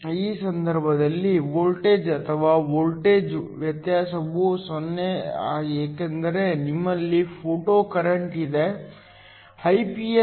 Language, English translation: Kannada, In this case the voltage or the voltage difference is 0 because you have a photocurrent; Iph